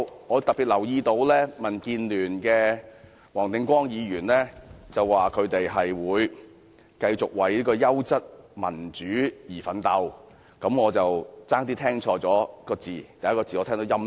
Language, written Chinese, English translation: Cantonese, 我特別留意到，民建聯的黃定光議員說他們會繼續為優質民主而奮鬥，我差點兒把"優質"聽錯為"陰質"。, In particular I note that Mr WONG Ting - kwong of DAB said they would continue to fight for quality democracy . I almost misheard quality as tacky